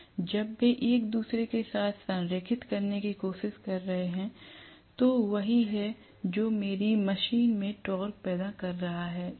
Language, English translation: Hindi, When they are trying to align with each other, that is what is creating the torque in my machine